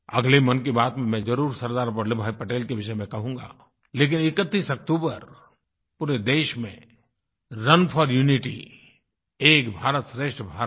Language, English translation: Hindi, In the next Mann Ki Baat, I will surely mention Sardar Vallabh Bhai Patel but on 31st October, Run for Unity Ek Bharat Shreshth Bharat will be organized throughout the country